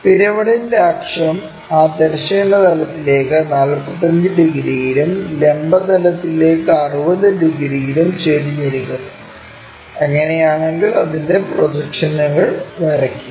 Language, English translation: Malayalam, The axis of the pyramid is inclined at 45 degrees to that horizontal plane and 60 degrees to that vertical plane, if that is the case draw its projections, ok